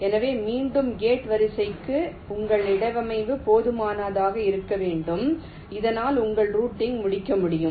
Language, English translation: Tamil, so again for gate array, your placement should be good enough so that your routing can be completed